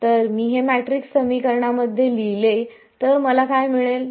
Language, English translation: Marathi, So, if I write this out into a matrix equation what will I get I am going to get something of the following form